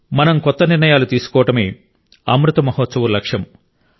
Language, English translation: Telugu, And the Amrit Mahotsav of our freedom implies that we make new resolves…